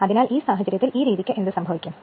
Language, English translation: Malayalam, So, in this case what will happen the by this method